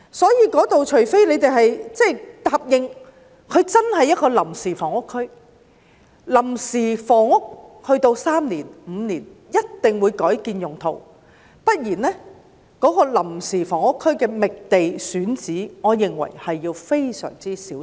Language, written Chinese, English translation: Cantonese, 所以，除非大家答應真的是臨時房屋區，作臨時用途3年或5年後一定會改變用途，不然，在為臨時房屋區覓地選址方面，我認為需要非常小心。, Therefore unless we promise that it is genuine temporary housing which will definitely have its use changed after being temporarily used for three or five years otherwise in seeking sites for temporary housing I think great care is needed